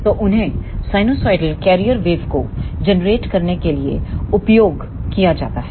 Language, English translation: Hindi, So, they are used in generating the sinusoidal carrier wave